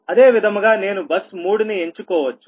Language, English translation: Telugu, similarly, i can choose the bus three, right